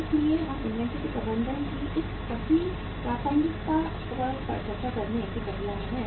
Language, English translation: Hindi, So we are in the process of discussing all this relevance of managing inventory